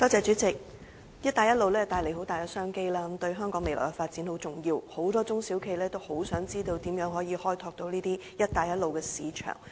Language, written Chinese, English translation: Cantonese, 主席，"一帶一路"倡議帶來很大的商機，對香港未來的發展很重要，很多中小企業渴望知道如何開拓這些"一帶一路"的市場。, President the Belt and Road Initiative has created enormous business opportunities which are very important to the development of Hong Kong . Many SMEs are eager to find out how to develop these Belt and Road markets